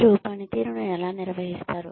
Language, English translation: Telugu, How do you manage performance